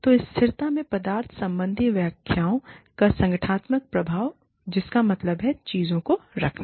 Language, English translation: Hindi, So, the organizational effects of substance related interpretations of sustainability, which means, keeping things, going